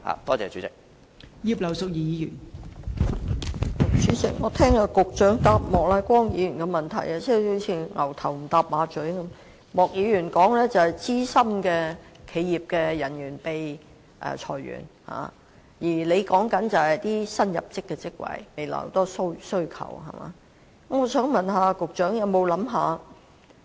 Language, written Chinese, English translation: Cantonese, 代理主席，局長就莫乃光議員主體質詢提供的主體答覆，好像"牛頭不搭馬嘴"般，莫議員關注的是企業中的資深人員被裁員，而局長則談及未來的殷切需求及新入職職位。, Deputy President the Secretarys main reply to Mr Charles Peter MOKs main question is totally irrelevant . Mr MOK is concerned about the layoff of veteran employees in enterprises yet the Secretary talks about the buoyant demand in future and appointments to new posts